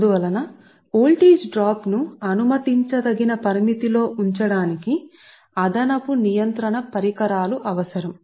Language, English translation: Telugu, hence additional regulating equipment is required to keep the voltage drop within permissible limit